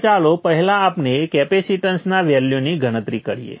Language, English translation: Gujarati, Now first off let us calculate the value of the capacitance